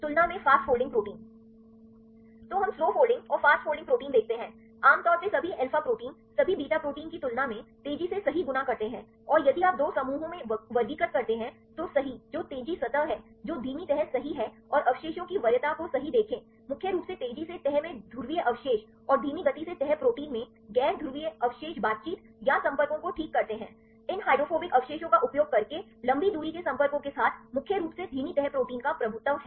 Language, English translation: Hindi, So, we see the slow folding and fast folding proteins generally all alpha proteins right fold faster than all beta proteins and if you classify into 2 groups, right which one is fast folding which one is slow folding right and see the preference of residues right the mainly the polar residues in the fast folding and the non polar residues in the slow folding proteins likewise the interactions or the contacts right; mainly the slow folding proteins are dominated with the long range contacts using these hydrophobic residues